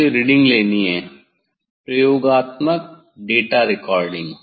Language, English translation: Hindi, I have to take reading experimental data recoding